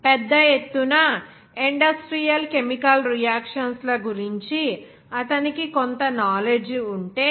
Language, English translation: Telugu, If he has some knowledge of large scale industrial chemical reactions